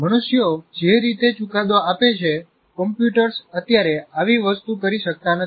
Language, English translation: Gujarati, The way humans make a judgment, computers cannot do that kind of thing right now